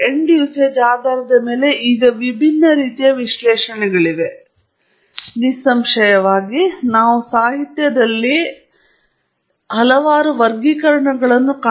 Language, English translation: Kannada, There are many different types of analysis, obviously, now, depending on the need and the end use of your analysis, and there are several classifications that you can find in the literature